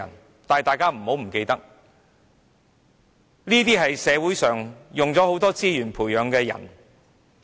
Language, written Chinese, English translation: Cantonese, 不過，大家不要忘記，他們都是社會花了不少資源培養的人。, But Members should not forget that our society has spent quite many resources on nurturing them